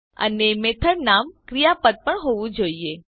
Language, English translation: Gujarati, Also the method name should be a verb